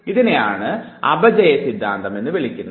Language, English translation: Malayalam, This is what is called as Theory of Decay